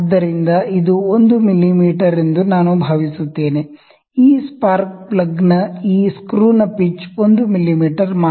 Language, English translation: Kannada, So, it I think it is 1 mm, the pitch of this screw of this spark plug is 1 mm only